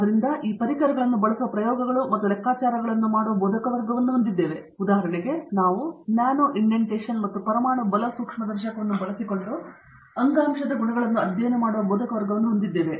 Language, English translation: Kannada, So we have faculty that do experiments and computations using these tools, for example, we have faculty studying tissue properties using nano indentation and atomic force microscopy